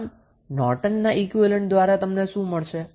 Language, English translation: Gujarati, So, what Norton's equivalent you will get